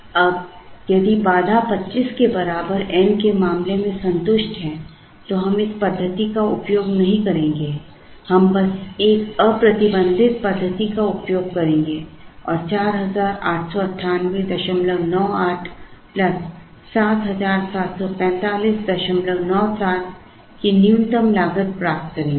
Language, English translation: Hindi, Now, if the constraint is satisfied as in the case of N equal to 25, we will not use this method, we would simply use the unconstrained one and get the minimum cost of 4898